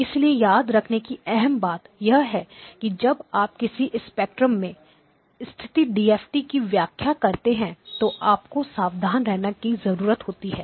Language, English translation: Hindi, So the key point to remember is that when you interpret a DFT based in a spectrum you just need to be careful that you interpret it correctly